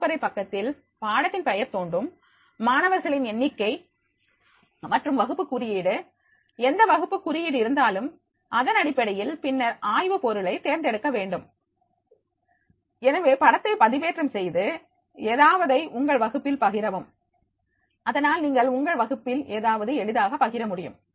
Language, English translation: Tamil, The classroom page will appear the name of the course, the number of the students and the class code, whatever the class code is there, and then on the basis of that, then select the theme, so upload the photo and therefore sharing something with your class and therefore you can easily share something in your class